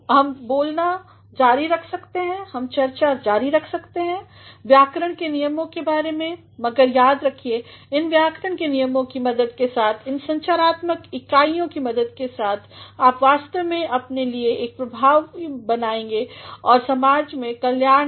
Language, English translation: Hindi, We can go on speaking, we can go on discussing the rules of grammar, but remember that with the help of these grammatical rules, with the help of these structural units you actually are going to create an impression of yourself in the society, at the workplace